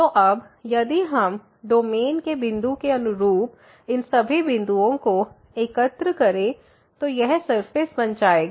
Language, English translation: Hindi, So, now if we collect all these points corresponding to the point in the domain, we this surface will be formed